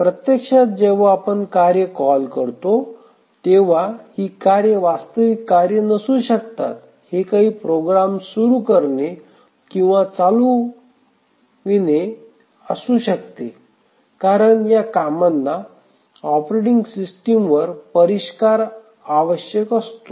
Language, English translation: Marathi, The tasks may not be real tasks actually even though we are calling tasks it may be just invoking running certain programs because handling tasks require sophistication on the part of operating system